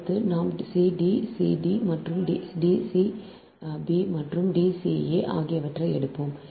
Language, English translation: Tamil, next we will take c d c b dash and ah, d c b dash and d c a dash